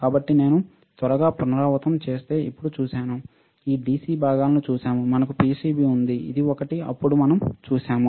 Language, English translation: Telugu, So, we have now seen if I quickly repeat, we have seen this DC components, we have seen PCB, which is this one, this one, then we have seen the soldering